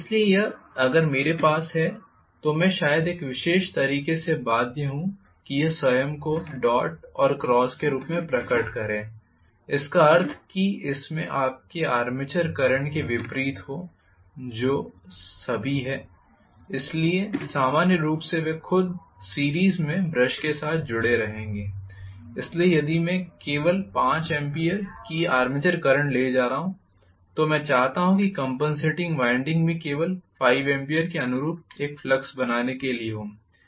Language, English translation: Hindi, So, if I have, I am having probably it is bound in a particular way it should be manifesting itself the dot and cross in the it opposite sense to that of your armature current that is all, so they will be connected in series with the brushes themselves normally, so if I am carrying only 5 ampere of armature current I want the compensating winding also to create a flux only corresponding to 5 ampere